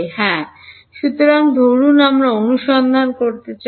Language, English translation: Bengali, So, supposing we want to find out